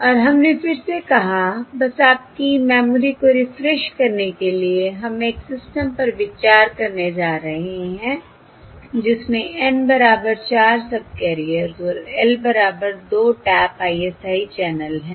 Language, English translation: Hindi, all right, And we have said again, just to refresh your memory, we are going to consider a system with N equal to 4 subcarriers and L equal to 2 tap ISI channel, L equal to 2 tap ISI channel